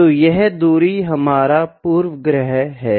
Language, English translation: Hindi, So, this distance is our bias